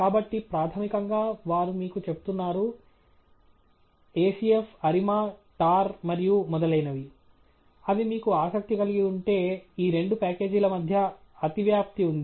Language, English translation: Telugu, So, basically, they are telling you that acf, arima, tar and so on, if they are of interest to you, there is an overlapping between these two packages